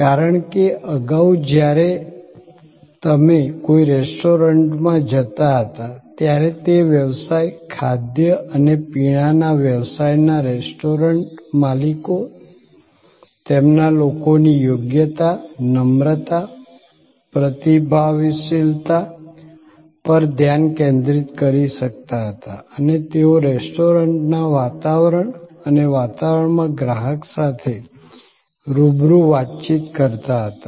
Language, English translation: Gujarati, Because, earlier when you went to a restaurant, the restaurant owners of that business, food and beverage business could focus on the competencies, politeness, responsiveness of their people and they interacted face to face with the customer in an environment and ambiance of the restaurant